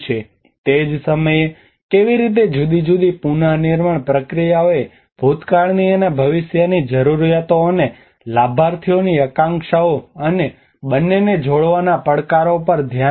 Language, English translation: Gujarati, At the same time how different rebuilding processes have addressed the challenges to connect both past and future needs and aspirations of the beneficiaries